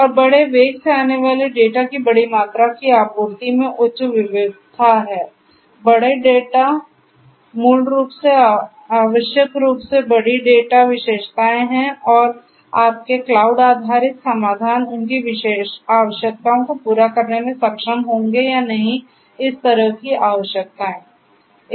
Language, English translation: Hindi, And supplying large volumes of data coming at huge velocity is having high variety; big data basically essentially big data characteristics are there and whether your cloud based solutions will be able to cater to their requirements or not these kind of requirements